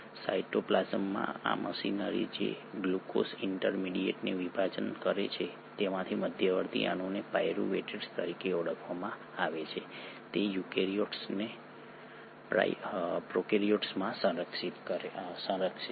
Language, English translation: Gujarati, This machinery in cytoplasm which breaks down glucose intermediate, to its intermediate molecule called pyruvate is conserved across prokaryotes to eukaryotes